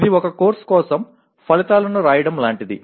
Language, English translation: Telugu, It is like writing outcomes for a course